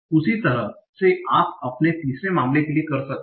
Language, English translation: Hindi, Now, same way you can do for your third case